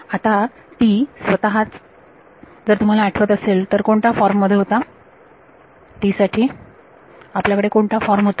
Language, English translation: Marathi, Now, T itself if you remember what was the form that we had for T